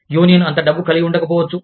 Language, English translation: Telugu, The union may not have, that much money